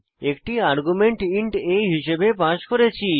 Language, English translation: Bengali, Here we have passed an argument as int a